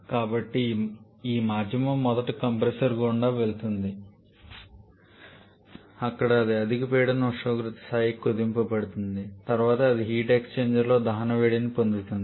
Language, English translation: Telugu, So, this medium is first passed through a compressor where that gets compressed to higher pressure temperature level then it receives the heat of combustion in the heat exchanger